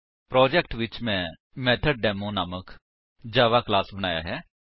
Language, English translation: Punjabi, In the project, I have created a java class named MethodDemo